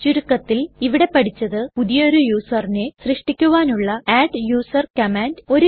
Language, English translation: Malayalam, To summarise, we have learnt: adduser command to create a new user